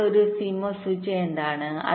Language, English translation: Malayalam, so what is a cmos switch